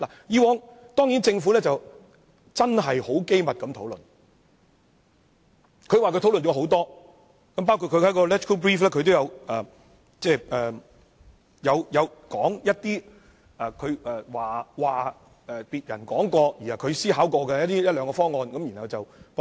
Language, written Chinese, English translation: Cantonese, 之前，政府當然是機密地討論，它說已進行了多次討論，在立法會參考資料摘要中亦提到一兩個別人說過，它也思考過的方案，然後加以駁斥。, Of course secret discussions were held previously by the Government . It says that a number of discussions have been held . It is also mentioned in the Legislative Council Brief that the Government has thought through but later disproved one or two options mentioned by other people